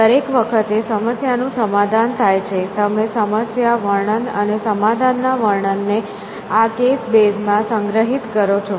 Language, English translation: Gujarati, So, every time is solve a problem, you store the problem and the description and the solution description into this case base